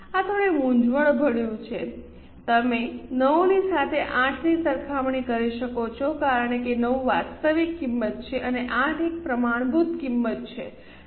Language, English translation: Gujarati, You can compare 9 with 8 because 9 is a actual price and 8 is a standard price